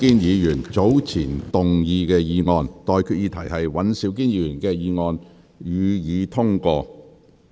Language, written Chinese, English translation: Cantonese, 我現在向各位提出的待決議題是：尹兆堅議員動議的議案，予以通過。, I now put the question to you and that is That the motion moved by Mr Andrew WAN be passed